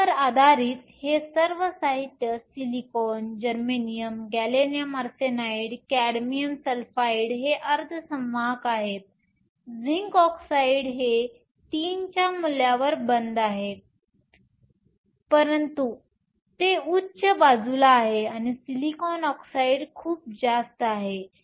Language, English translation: Marathi, Based upon this, all this materials silicon, germanium, gallium arsenide, cadmium sulfide are semiconductors, zinc oxide is closed to this value of three, but it is on the higher side and silicon dioxide is much higher